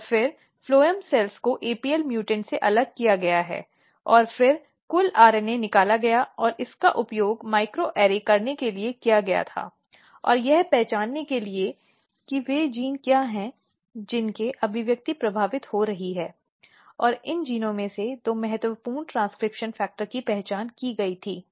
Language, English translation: Hindi, And, then phloem cells are the cells which are present at the place of phloem has been isolated from apl mutant and then total RNA was extracted and it was used for doing microarray and to identify what are the genes whose expressions are getting affected; and out of these genes there were large number of genes, but two important transcription factors were identified